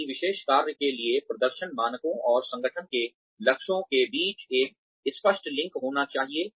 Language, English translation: Hindi, There has to be a clear link between, the performance standards for a particular job, and an organization's goals